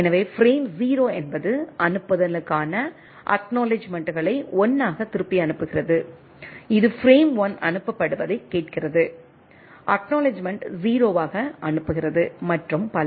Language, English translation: Tamil, So, frame 0 is send acknowledgement send back as 1 on receiving the things, it asks for the frame 1 is sent, acknowledgement send as a 0 and so on so forth